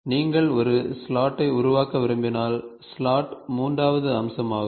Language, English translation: Tamil, So, if you want to make a slot, slot is a third feature